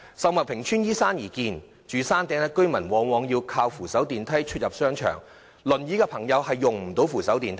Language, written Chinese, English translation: Cantonese, 秀茂坪邨依山而建，住在山頂的居民往往依靠扶手電梯出入商場，使用輪椅的朋友卻無法使用扶手電梯。, The residents living on the hilltop very often rely on escalators to get in and out of the shopping mall but wheelchair users cannot use the escalator